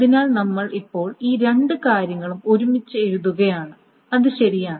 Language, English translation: Malayalam, So we are now writing all these two things together